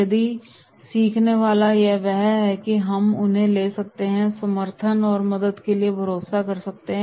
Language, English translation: Hindi, If the learner is that and then we can take them and rely for support and help